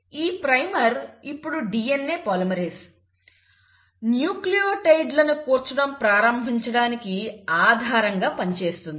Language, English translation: Telugu, So this primer now acts as the base on which the DNA polymerase can start adding the nucleotides